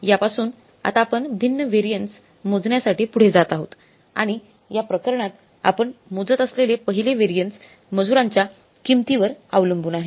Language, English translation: Marathi, Now the from this we will now be going further for calculating the different variances and first variance we will be calculating in this case will be labor cost variance